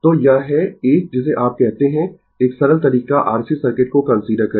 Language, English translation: Hindi, So, this is a your what you call a simple the way we considered the R C circuit